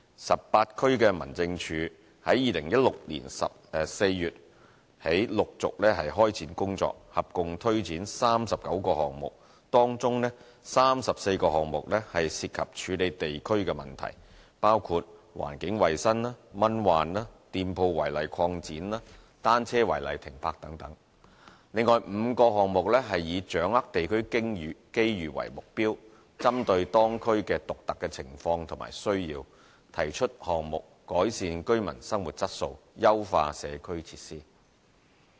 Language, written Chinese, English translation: Cantonese, 十八區民政處由2016年4月起陸續開展工作，合共推展39個項目，當中34個項目涉及處理地區問題，包括環境衞生、蚊患、店鋪違例擴展和單車違例停泊等﹔另外5個項目以掌握地區機遇為目標，針對當區的獨特情況和需要，提出項目改善居民的生活質素，優化社區設施。, Since April 2016 18 District Offices have been implementing a total of 39 projects including 34 projects relating to management of local issues such as improving environmental hygiene conditions enhancing anti - mosquito work curbing shop front extension and clearing illegally parked bicycles; besides there are five projects which aim to capitalize on local opportunities for enhancing the living quality of residents and community facilities in response to the unique circumstances and needs of respective districts